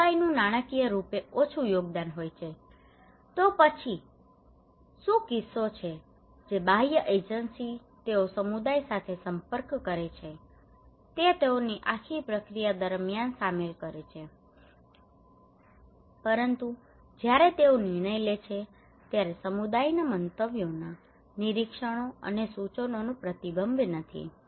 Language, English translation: Gujarati, Community has less contribution financially then what is the case that the external agency they consult with the community they involve them throughout the process, but when they make the decision, when they make the plan there is no reflections of community’s opinions observations and suggestions